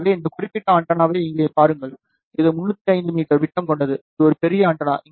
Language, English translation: Tamil, So, just look at this particular antenna over here, it has a diameter of 305 meter, it is a huge huge antenna